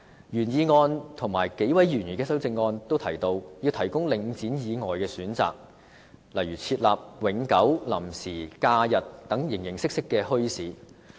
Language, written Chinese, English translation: Cantonese, 原議案和數位議員的修正案均提及要提供領展以外的選擇，例如設立永久、臨時、假日等形形色色的墟市。, Both the original motion and the amendments proposed by several Members mention the provision of choices other than Link REIT by for instance providing a variety of permanent temporary and holiday bazaars